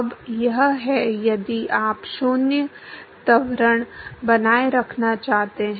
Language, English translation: Hindi, Now this is if you want to maintain 0 acceleration